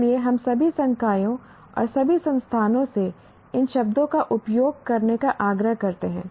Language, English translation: Hindi, So, we urge all faculty in all institutions to use these words